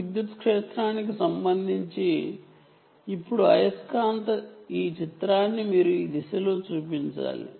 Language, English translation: Telugu, now, with respect to the electric field, you must show it in this direction, right